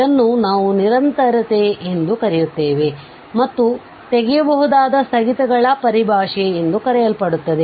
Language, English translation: Kannada, So, this is what we call continuity and there is a so called terminology on removable discontinuities